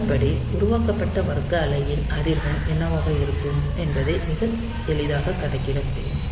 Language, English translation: Tamil, So, so much of what will be the frequency of this square wave that is generated